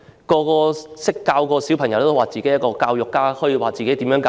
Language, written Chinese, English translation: Cantonese, 教過小朋友的人也會自稱教育家，可以把孩子教好。, Some people who have experience in teaching children may claim to be educators who are good at teaching children